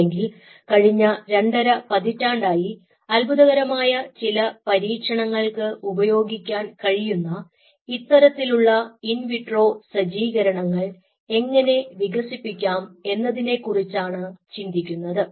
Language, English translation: Malayalam, what people are addressing for last almost more than twenty years, or last two and a half decades, that how to develop these kind of in vitro setups which can be used for some amazing experiments, what we can think of now